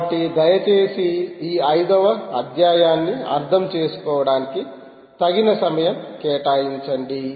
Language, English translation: Telugu, so please spend sufficient, significant amount of time understanding this chapter five